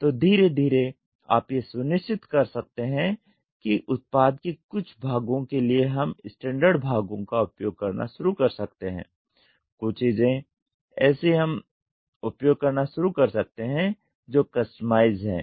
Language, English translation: Hindi, So, slowly you can make sure that certain things we can start using standard parts, certain things we can start using which is customized to the product